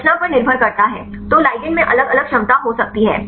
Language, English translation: Hindi, Depending on the conformation then the ligand can have different efficiencies right